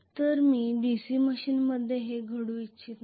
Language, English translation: Marathi, So I do not want this to happen in a DC machine